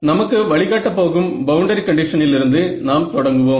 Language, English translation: Tamil, But now let us start with the boundary condition that is what is going to guide us